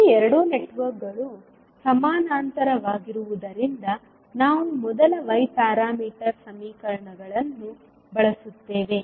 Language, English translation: Kannada, Since these 2 networks are in parallel, we will utilise first Y parameter equations